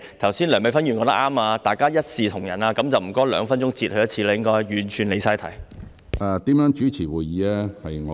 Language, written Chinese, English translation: Cantonese, 剛才梁美芬議員說得對，大家要一視同仁，那麼請主席兩分鐘便提醒她一次。, So may I ask the Chairman to remind her once every two minutes as she has strayed entirely from the subject